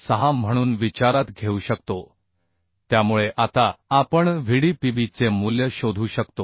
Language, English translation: Marathi, 606 so now we can find out the value of Vdpb So Vdpb value if we calculate will get Vdpb as 2